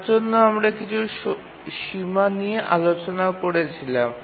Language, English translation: Bengali, For that we were discussing some bounds